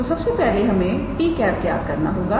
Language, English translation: Hindi, So, first of all we have to calculate t cap